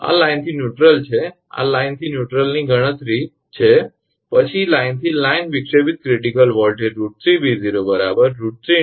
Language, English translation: Gujarati, This is line to neutral this is line to neutral computation then line to line disruptive critical voltage will be root 3 into V 0 that is root 3 into 57 so 98